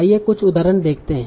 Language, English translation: Hindi, So let us see some examples